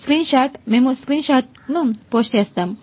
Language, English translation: Telugu, screenshot, we will post a screenshot